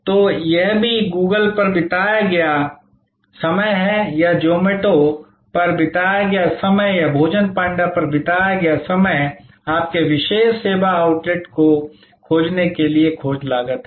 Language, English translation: Hindi, So, this is also the time spent on Google or the time spent on Zomato or the spent on food Panda to search out your particular service outlet is the search cost